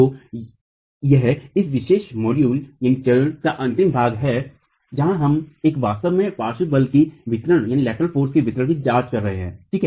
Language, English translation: Hindi, So that's the last part of this particular module where we are really examining distribution of lateral force